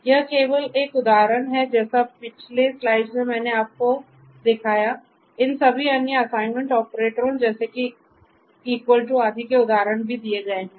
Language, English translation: Hindi, So, this is just an example likewise like the previous slides I have even given you an example of all of these different other assignment operators like the equal to etcetera